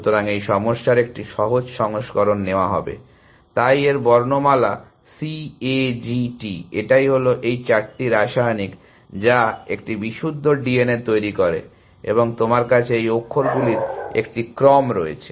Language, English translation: Bengali, So, will take a simpler version of this problem, so the alphabet of this is let us see C A G T, which are this four chemicals, which make a pure D N A, and you have sequences of these characters